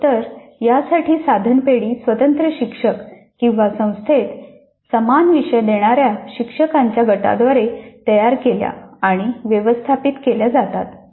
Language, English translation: Marathi, The item banks for quizzes are created and managed by the individual teachers or the group of teachers offering a same course across the institute